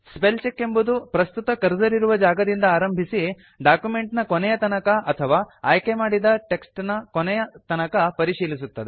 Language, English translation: Kannada, The spellcheck starts at the current cursor position and advances to the end of the document or selection